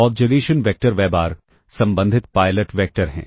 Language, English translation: Hindi, So, we have the observation vector y bar in the corresponding pilot vectors ah